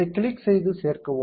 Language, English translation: Tamil, Click on it and add it